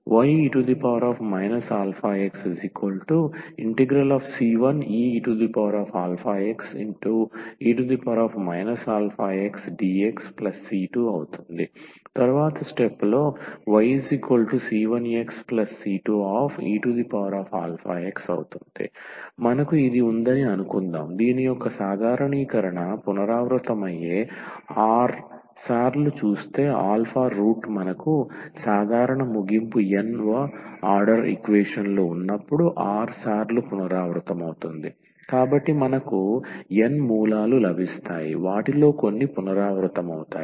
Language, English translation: Telugu, So, y is equal to c 1 x plus c 2 times this e power alpha x and the generalization of this we can also get when suppose we have this alpha as a repeated r times see the alpha root is repeated r times when we have a general end nth order equations, so we will get n roots so some of them may be repeated